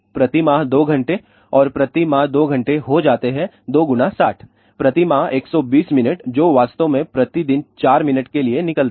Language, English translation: Hindi, 2 hours per month and 2 hours per month comes out to be 2 into 6000 20 minutes per month that really comes out to be 4 minutes per day